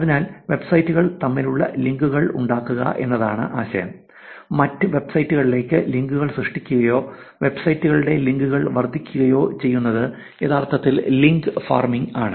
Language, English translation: Malayalam, So, the idea of making the links between websites which is not otherwise there; creating links or increasing the links of the websites to other websites is actually link farming